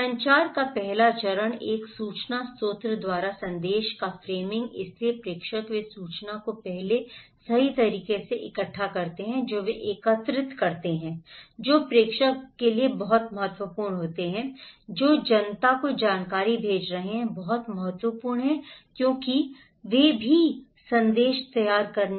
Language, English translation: Hindi, The first stage of communication is the framing of message by an information source so, the senders they frame the information at first right they collect so, who are senders is very important who are sending the informations to the public is very important because they are also framing the message